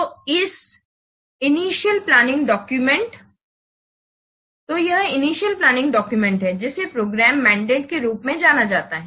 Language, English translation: Hindi, So this is the initial planning document is known as the program mandate